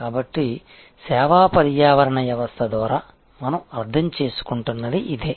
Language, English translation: Telugu, So, this is what we are meaning by service ecosystem